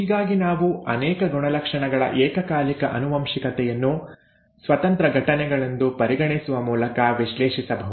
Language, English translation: Kannada, Thus, we can analyze probabilities of simultaneous inheritance of multiple characters by considering them as independent events, okay